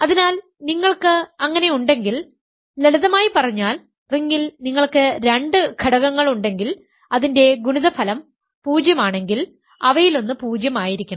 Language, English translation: Malayalam, So, if you have so, simply put, it says that if you have two elements in the ring whose product is 0, one of them must be 0